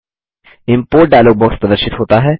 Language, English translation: Hindi, The Import dialog box appears